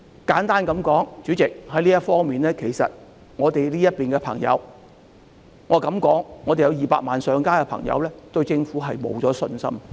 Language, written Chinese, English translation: Cantonese, 簡而言之，主席，就這方面，我敢說我們有200萬上街的朋友已經對政府失去信心。, In short President in this connection I venture to say that the 2 million people who took to the streets have already lost their confidence in the Government